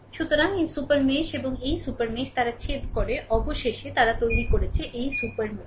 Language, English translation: Bengali, So, this super mesh and this super mesh they intersect, right, finally, they created the, this super mesh